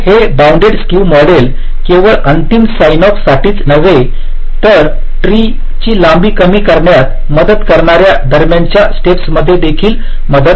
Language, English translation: Marathi, so this bounded skew model helps us not only for the final signoff but also during intermediate steps that can help in reducing the length of the tree